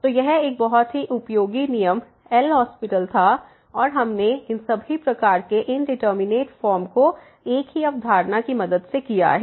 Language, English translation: Hindi, So, that was a very useful rule L’Hospital and we have handled with the help of the single concept all these types of indeterminate form